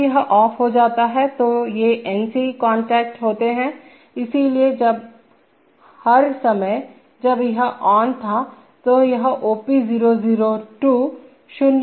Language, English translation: Hindi, When this goes off, now these are NC contacts, so when all the time, when this was on, these this OP002 will held to 0